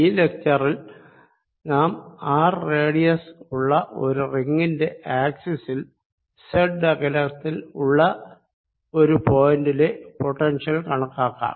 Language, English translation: Malayalam, in this lecture we take a ring of radius r and calculate the potential on its axis at a distance, z